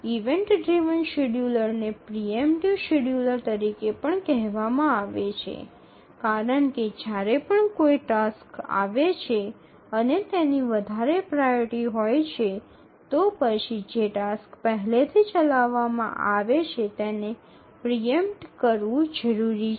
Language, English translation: Gujarati, So, the event driven schedulers are also called as preemptive schedulers because whenever a task arrives and it has a higher priority then the task that's already executing needs to be preempted